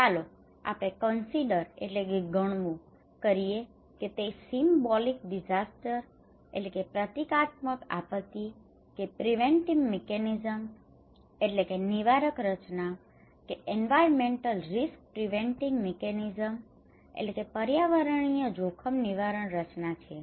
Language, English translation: Gujarati, But let us focus, consider that this is a symbolic disaster or preventive mechanism or environmental risk preventive mechanism